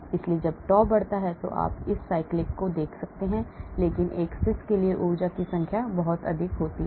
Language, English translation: Hindi, so as the tau increases you see this cyclic, but the energy numbers is very high for a cis